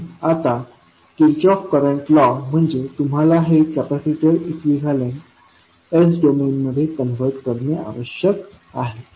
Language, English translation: Marathi, So now when you see Kirchhoff’s current law means you have to convert this capacitor into equivalent s domain